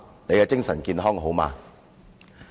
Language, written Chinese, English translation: Cantonese, 你的精神健康好嗎？, Are you mentally healthy?